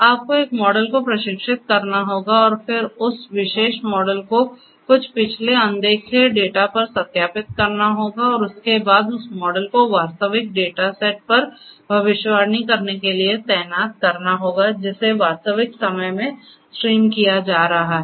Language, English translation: Hindi, You have to train a model and then test and validate that particular model on some previously unseen data and thereafter deploy that model to make predictions on an actual data set which is being streamed in real time